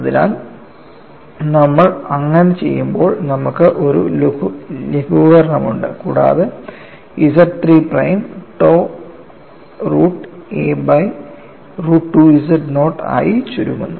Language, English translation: Malayalam, So, when you do that, you have a simplification and Z 3 prime reduces to tau root of a divided by root of 2z naught